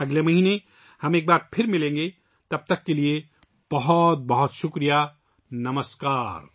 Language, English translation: Urdu, We'll meet again next month, until then, many many thanks